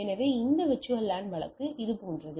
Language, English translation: Tamil, So, this VLAN case up like that one